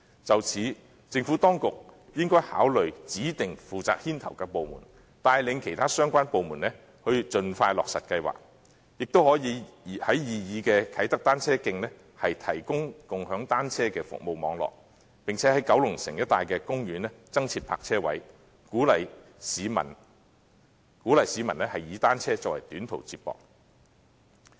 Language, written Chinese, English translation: Cantonese, 就此，政府當局應該考慮指定負責牽頭的部門，帶領其他相關部門盡快落實計劃，亦可以在擬議的啟德單車徑提供共享單車的服務網絡，並且在九龍城一帶的公園增設單車泊車位，鼓勵市民以單車作為短途接駁工具。, Such being the case the Administration should consider designating a government department to lead other relevant departments in implementing the plan expeditiously . Moreover bicycle - sharing service networks can be provided for the proposed Kai Tak cycle tracks and additional bicycle parking spaces be provided in the parks in the vicinity of Kowloon City with a view to encouraging members of the public to use bicycles as a mode for short - distance commute